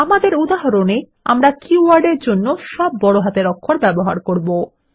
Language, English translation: Bengali, In our examples, we will use all upper cases for keywords